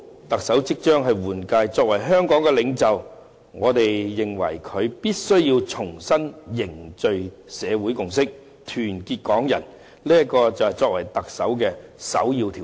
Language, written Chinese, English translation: Cantonese, 特首即將換屆，我們認為，特首作為香港的領袖，必須重新凝聚社會共識，團結港人，這是作為特首的首要條件。, As we will have a new Chief Executive soon we believe that as the leader of Hong Kong the next Chief Executive must rebuild social consensus and unite Hong Kong people . This is the first requirement for the top post